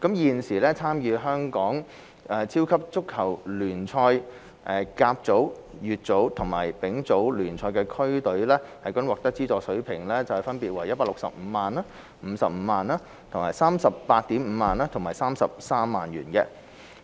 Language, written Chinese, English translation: Cantonese, 現時，參與香港超級足球聯賽、甲組、乙組和丙組聯賽的區隊獲得的資助水平分別為165萬元、55萬元、385,000 元和33萬元。, Currently the levels of funding for teams playing in the Hong Kong Premier League HKPL First Division Second Division and Third Division are 1.65 million 0.55 million 0.385 million and 0.33 million respectively